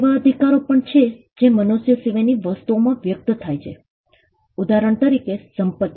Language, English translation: Gujarati, There are also rights that manifest in things beyond the human being; with in for example property